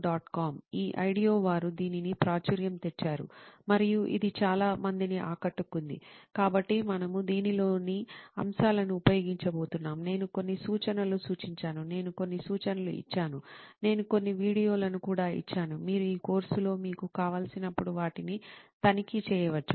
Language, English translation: Telugu, com, this IDEO, they were the ones who made it popular and it caught on to several, so we are going to be using elements of this, I have suggested some references, also I have given some references, I have also given some videos, you can check them out any time you want during this course